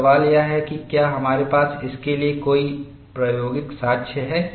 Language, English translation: Hindi, Now, the question is, do we have an experimental evidence for this